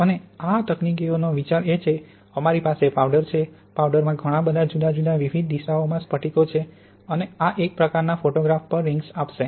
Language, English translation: Gujarati, And the idea of this technique is that we have a powder, a powder has lots of different crystals in different orientations and this would give, on a sort of photograph, this would give rings